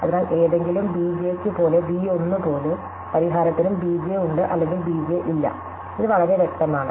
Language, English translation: Malayalam, So, just like b 1 for any b j, the solution either has b j or does not have b j, this is very clear